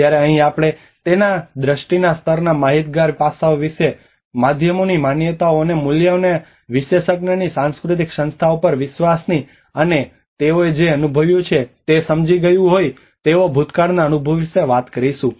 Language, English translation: Gujarati, Whereas here when we talk about the perception aspects of it the level of knowledge the beliefs and values the media and the trust in the expert’s cultural institutions, and the past experience what they have understood what they have experienced